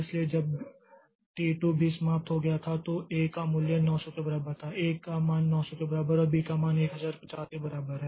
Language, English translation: Hindi, So, when T2 has also finished, now the value of A is equal to 900, value of A is equal to 900 and value of B is equal to 150